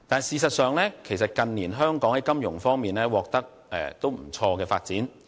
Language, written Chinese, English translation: Cantonese, 事實上，近年香港在金融方面取得不俗的發展。, The financial development of Hong Kong has actually been quite good in recent years